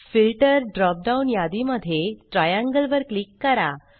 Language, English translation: Marathi, In the Filter drop down list, click the triangle